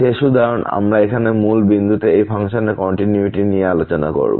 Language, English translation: Bengali, The last example, we will discuss here the continuity of this function at origin